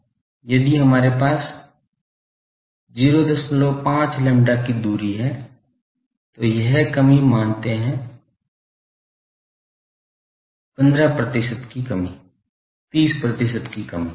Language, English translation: Hindi, 5 lambda, this reduction becomes say 15 percent reduction, 30 percent reduction etcetera